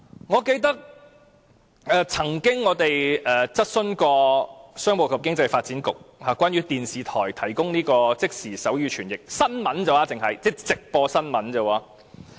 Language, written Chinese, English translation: Cantonese, 我們曾經質詢商務及經濟發展局有關電視台提供即時手語傳譯服務的問題，問的只是關於直播新聞而已。, We have asked the Commerce and Economic Development Bureau about the provision of sign language interpretation service by television stations for only live news broadcast